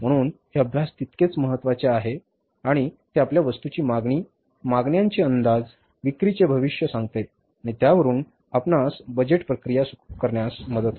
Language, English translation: Marathi, So these research studies are equally important and they help us in the estimation of the demands, forecasting of the demands, forecasting of the sales and there we start the budgeting process from